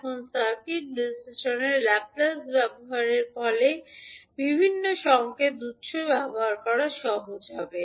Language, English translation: Bengali, Now the use of Laplace in circuit analysis will facilitate the use of various signal sources